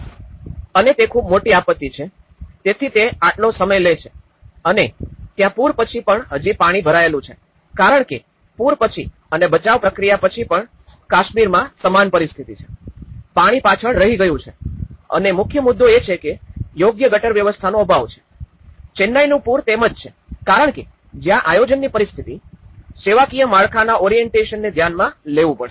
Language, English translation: Gujarati, And that is even much bigger disaster okay, so it takes so much time and also there are the water has stayed back even after you know because even after the flood and even after the rescue process still in being the same story in Kashmir, the water has stayed back and because the main issue is lack of proper drainage systems, the Chennai floods it is the same because that is where the planning situation, the service infrastructure orientation has to be addressed